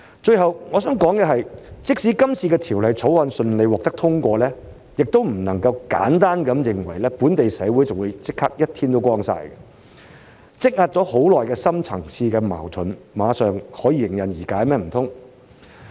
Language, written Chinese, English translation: Cantonese, 最後，我想說的是，即使今次的《條例草案》順利獲得通過，也不能簡單地認為本地社會立即"一天光晒"，難道積壓已久的深層次矛盾馬上可以迎刃而解嗎？, Finally I want to say that even if the Bill is passed smoothly we cannot simply think that all the problems in our society will be gone right away for the deep - seated conflicts accumulated over the years will not be resolved at once will it?